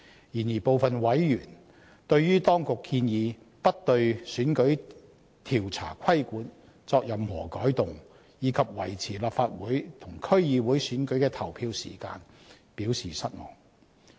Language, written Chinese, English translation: Cantonese, 然而，當局建議不對選舉調查規管作任何改動，以及維持立法會和區議會選舉的投票時間，部分委員對此表示失望。, Some members however were disappointed by the authorities proposals that the existing regulation on exit polls would remain unchanged and that the present polling hours of Legislative Council and District Council elections should be maintained